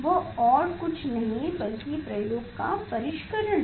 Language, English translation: Hindi, That is nothing, but the sophistication of the experiment